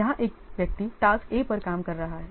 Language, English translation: Hindi, One person is working on activity A here